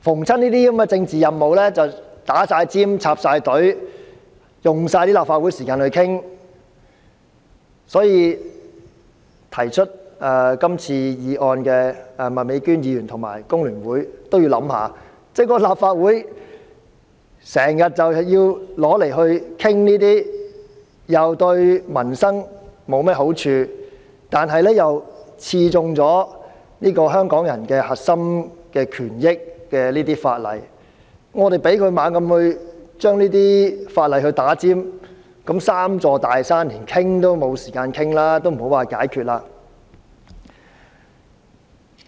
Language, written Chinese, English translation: Cantonese, 這些政治任務總要插隊，花光立法會的討論時間，所以我請提出今次議案的麥美娟議員及香港工會聯合會想想，如果立法會時常討論這些既對民生沒有好處，又刺中香港人核心權益的法例，而我們又讓政府將這些法例插隊，那我們連討論這"三座大山"的時間也沒有，莫說要解決。, These political missions are always allowed to jump the queue exhausting the discussion time of the Legislative Council . Hence I urge the mover of this motion Ms Alice MAK and the Hong Kong Federation of Trade Unions FTU to think about it . If the Legislative Council has to discuss these bills which are not conducive to peoples livelihood and will sting the core interests of the people of Hong Kong and if we allow the Government to jump the queue in introducing these bills we will not have time to discuss the problems of the three big mountains not to mention identifying solutions to them